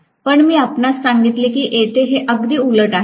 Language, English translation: Marathi, But I told you that here it is going to be exactly vice versa